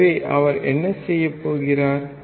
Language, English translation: Tamil, So, what he is doing